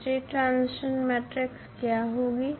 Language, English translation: Hindi, So, what will be the state transition matrix